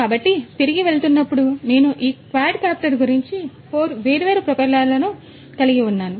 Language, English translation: Telugu, So, going back I was talking about this quadcopter having 4 different propellers